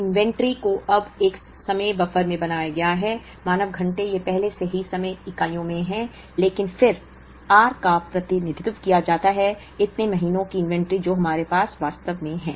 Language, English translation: Hindi, The inventory is now made into a time buffer, the man hours it is already in time units, but then r is represented as, so many months of inventory that we actually have